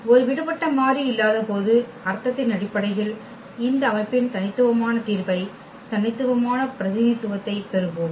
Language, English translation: Tamil, Meaning when we do not have a free variable we will get basically the unique representation, the unique solution of this system